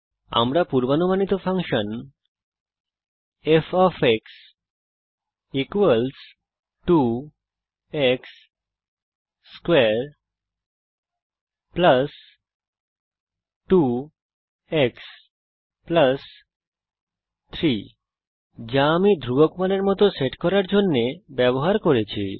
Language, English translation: Bengali, We can input the predicted function to f = 2 x^2 + 2 x + 3 is what i have used to set the constant value as